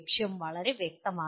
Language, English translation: Malayalam, The goal is very clear